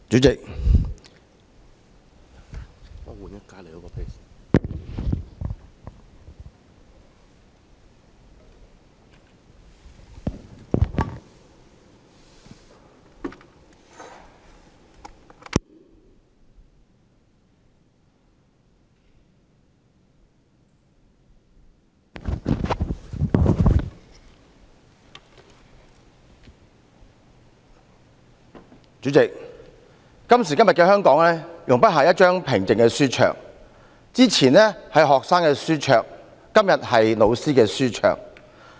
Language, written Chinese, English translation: Cantonese, 主席，今時今日的香港容不下一張平靜的書桌，之前是學生的書桌，今天是教師的書桌。, President Hong Kong in these days and age has no place for a quiet desk; formerly it has no place for students and now it has no place for teachers